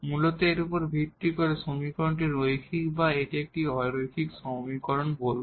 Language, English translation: Bengali, Mainly based on this whether the equation is linear or this is a non linear equation